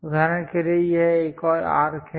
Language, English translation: Hindi, For example, this is another arc